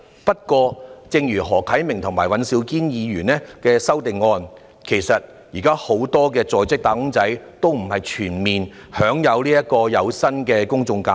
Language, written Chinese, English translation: Cantonese, 不過，正如何啟明議員和尹兆堅議員的修正案所指出，現時並不是全部在職"打工仔"均享有有薪的公眾假期。, However just as Mr HO Kai - ming and Mr Andrew WAN highlighted in their amendments not all wage earners in Hong Kong are entitled to paid general holidays at present